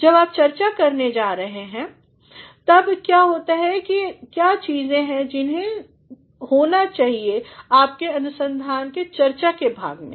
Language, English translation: Hindi, When you are going to discuss, what are the things that should have been in the discussion part of your research